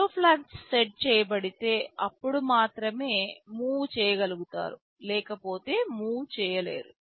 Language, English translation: Telugu, If the zero flag is set, then only you do the move, otherwise you do not do the move